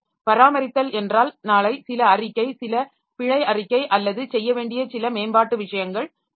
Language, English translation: Tamil, Maintain means tomorrow there is some report, something, some bug report or some enhancement thing to be done